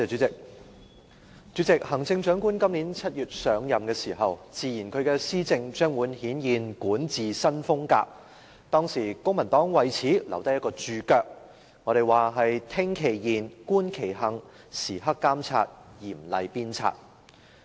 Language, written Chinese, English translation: Cantonese, 主席，行政長官今年7月上任時，自言她的施政將會顯現"管治新風格"，當時公民黨為此留下一個註腳說："聽其言、觀其行、時刻監察、嚴厲鞭策"。, President when the Chief Executive assumed office in July this year she said that there would be a new style of governance under her administration . At that time the Civic Party made the following footnote listen to her words and watch her deeds; monitor constantly and supervise stringently